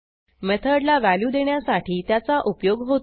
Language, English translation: Marathi, It is used to assign a value to a method